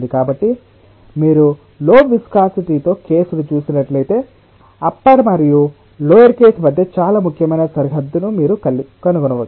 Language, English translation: Telugu, so if you see the case with low viscosity, you can find out an very important demarcation between the upper and the lower case visibly